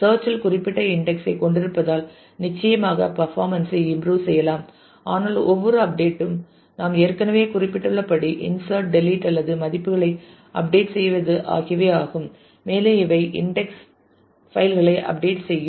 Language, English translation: Tamil, Having specific index on search certainly can improve performance, but as we have already noted every update with the be it insert, delete or update of values will result in update of the index files